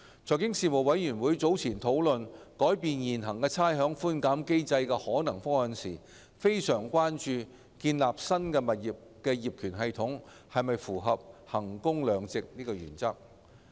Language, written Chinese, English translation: Cantonese, 財經事務委員會早前討論改變現行差餉寬減機制的可能方案時，非常關注建立新物業業權系統是否符合衡工量值的原則。, During its earlier deliberation on the possible options for modifying the existing rates concession mechanism the Panel on Financial Affairs was greatly concerned about whether the building of the new property ownership system was in line with the value for money principle